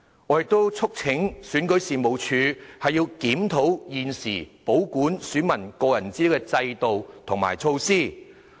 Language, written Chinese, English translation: Cantonese, 我亦促請選舉事務處檢討現時保管選民個人資料的制度和措施。, I also urge the REO to review its current system and measures concerning the maintenance of electors personal data